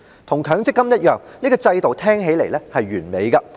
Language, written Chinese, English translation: Cantonese, 與強積金計劃一樣，這制度聽起來是完美的。, Like the MPF scheme this program appeared to be perfect